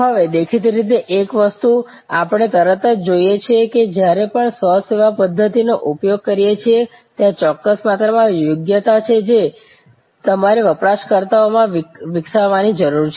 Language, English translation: Gujarati, Now, one of the things; obviously, we see immediately that whenever we are using self service technology, there is a certain amount of competency that you need to develop among the users